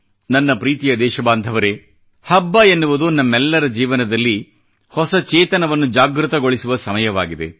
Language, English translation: Kannada, My dear countrymen, festivals are occasions that awaken a new consciousness in our lives